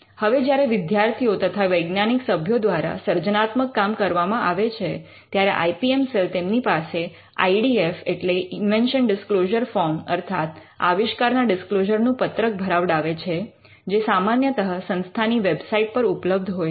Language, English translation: Gujarati, Now the creative work that emanates from the students and the faculty members, this the IPM cell requires them to fill an IDFs which is an invention disclosure form which is usually found in the institute website